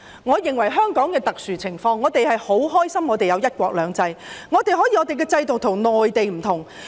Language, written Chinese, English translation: Cantonese, 我認為香港是特殊情況，我們很高興香港有"一國兩制"，我們的制度與內地不同。, I think Hong Kong is a special case . We are glad that Hong Kong has one country two systems . Our system is different from that of the Mainland